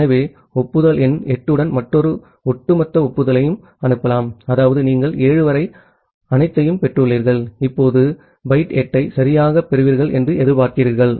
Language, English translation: Tamil, So, you can send another cumulative acknowledgement with acknowledgement number 8; that means you have received everything up to 7 and now you are expecting byte 8 to receive ok